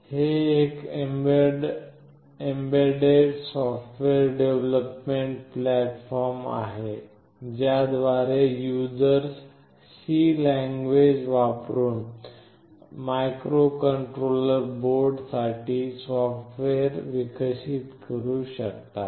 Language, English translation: Marathi, It is an embedded software development platform using which users can develop software using C, with microcontroller board specific library